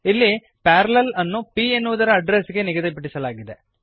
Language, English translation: Kannada, Here, Parallel is assigned to the address of p